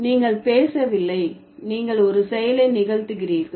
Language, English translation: Tamil, So, you are just not speaking, you are also performing an act